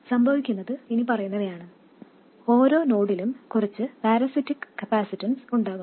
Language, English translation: Malayalam, And every node there will be some parasitic capacitance